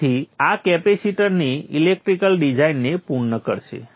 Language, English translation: Gujarati, So this would complete the electrical design of the capacitance